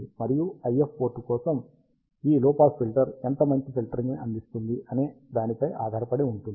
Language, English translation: Telugu, And for IF port, it depends on how good rejection this low pass filter provides